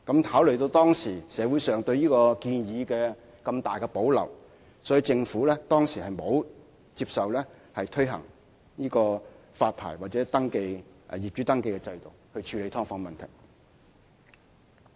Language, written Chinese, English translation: Cantonese, 考慮到社會上對這項建議有這麼大的保留，政府當時沒有接納推行發牌或業主登記制度以處理"劏房"問題。, Having considered the strong reservation of the public about this proposal the Government did not accept the proposal of introducing a licensing or landlord registration system to solve the problem of subdivided units